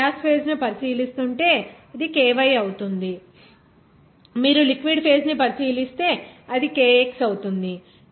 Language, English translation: Telugu, If you are considering the gas phase, it will be ky, if you are considering the liquid phase, it will be kx